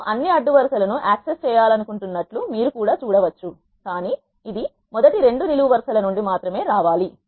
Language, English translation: Telugu, You can also do the same I want to access all the rows, but it has to be coming from first two columns only